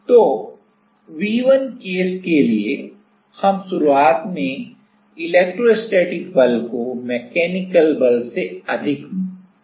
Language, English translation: Hindi, So, for V 1 case let us say for V 1 case; what we see, that initially the make a electrostatic force is higher than the mechanical force right